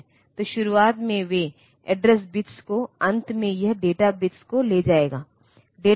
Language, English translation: Hindi, So, in at the beginning they will carry the address bits towards the end it will carry the data bits